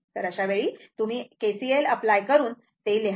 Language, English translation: Marathi, So, here you have to apply KCL